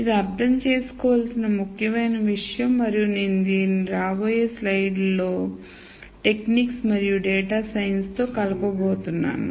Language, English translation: Telugu, So, this is an important thing to understand and I am going to connect this to the techniques and data science in the coming slide